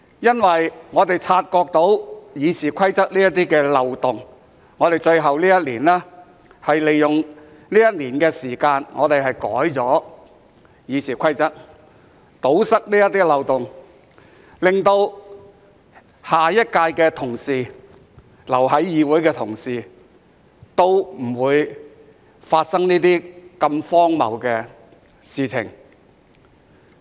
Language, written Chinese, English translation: Cantonese, 因為我們察覺到《議事規則》的這些漏洞，所以在最後這年，利用一年的時間修改《議事規則》，堵塞這些漏洞，令下一屆的同事、留在議會的同事，都不會經歷這些如此荒謬的事情。, Because after noticing these loopholes in the Rules of Procedure in this final year we took a year to amend the Rules of Procedure to plug these loopholes so that the colleagues of the next term or those who remain in the Council will not have to encounter such absurd incidents